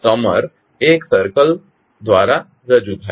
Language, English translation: Gujarati, So the summer is represented by a circle